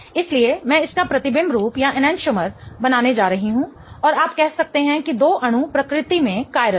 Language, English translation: Hindi, So, I'm going to draw its enchantomer and you can say that the two molecules are going to be chiral in nature